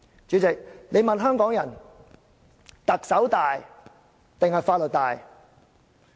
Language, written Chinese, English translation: Cantonese, 主席，如果你問香港人：特首大還是法律大？, President if you ask Hong Kong people Which is superior the Chief Executive or the law?